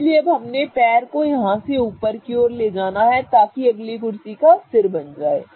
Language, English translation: Hindi, So, now we have moved the leg from here all the way up to the upper position such that it will become the head of the next chair